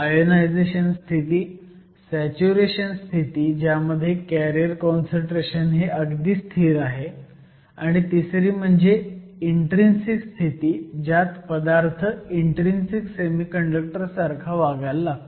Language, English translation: Marathi, So, we have three regimes an ionization regime; a saturation regime, where the carrier concentration is almost a constant; and then finally, an intrinsic regime where the material starts to behave like an intrinsic semiconductor